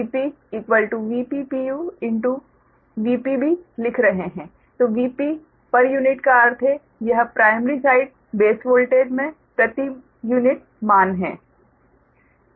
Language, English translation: Hindi, v p per unit means this is a per unit values into primary side base voltage right